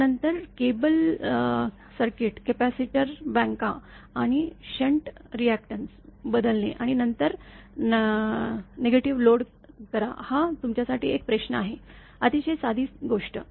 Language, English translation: Marathi, Next is then switching cable circuit, capacitor banks and shunt reactors, then load rejection; this is a question to you; very simple thing